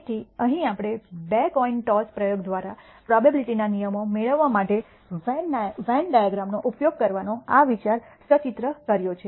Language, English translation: Gujarati, So, here we have illustrated this idea of using Venn diagram to derive probability rules by for the 2 coin toss experiment